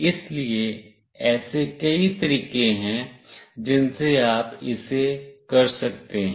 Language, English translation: Hindi, So, there are variety of ways you can do it